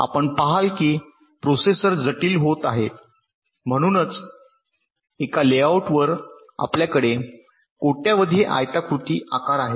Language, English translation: Marathi, you see, as the processors are becoming complex, so so, so on a layout we are having billions of this kind of rectangular shapes